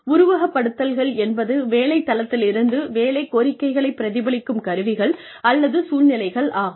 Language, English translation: Tamil, Simulations are devices or situations, that replicate job demands, at an off the job site